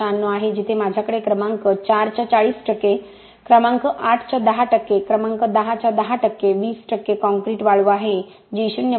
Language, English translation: Marathi, 696 where I have 40 percent of number 4, 10 percent of number 8, 10 percent of number 10, 20 percent of concrete sand which is 0